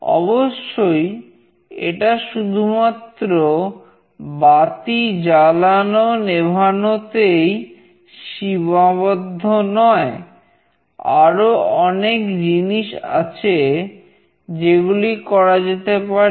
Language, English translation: Bengali, Of course, this is not only switching on and off bulb, there could be many more things that could be done